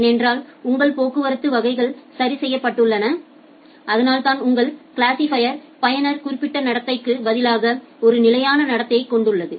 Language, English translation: Tamil, Because your traffic classes are fixed and that is why your classifier has a fixed behaviour, rather than a user specific behaviour